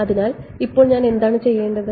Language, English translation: Malayalam, So, now, what should I do